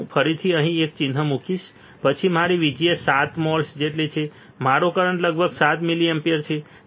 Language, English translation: Gujarati, So, will I again put a mark here then my VGS equals to 7 moles my current is about 7 milliampere